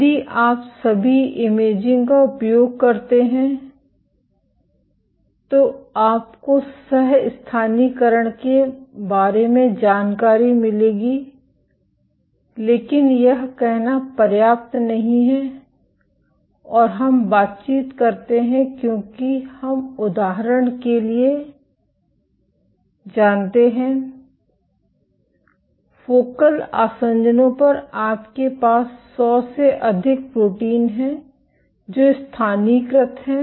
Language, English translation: Hindi, If you use imaging all you would get information about co localization, but this is not enough to say and we interact because we know for example, at focal adhesions you have greater than 100 proteins which localized